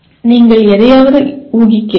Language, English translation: Tamil, Then you are inferring something